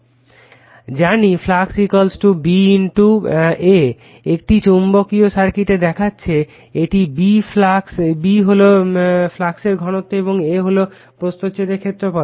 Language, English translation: Bengali, You know flux = B * A you have seen in a magnetic circuit this is B is the flux density and A is the cross sectional area